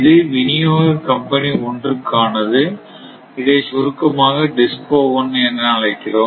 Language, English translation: Tamil, So, this is actually for distribution company 1 which is short we call DISCO 1 right